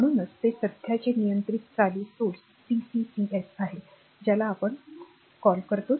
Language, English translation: Marathi, So, it is current controlled current source CCCS we call right